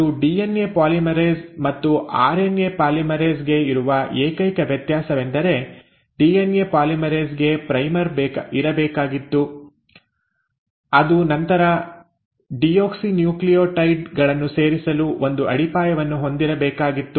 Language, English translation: Kannada, And the only difference, or rather one of the major differences the RNA polymerase has from a DNA polymerase is that DNA polymerase had to have a primer, it had to have a foundation on which it had to then go on adding the deoxynucleotides